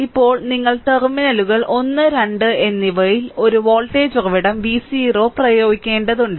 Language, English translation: Malayalam, Now, apply now what you have to do is, now you have to apply a voltage source V 0 at terminals 1 and 2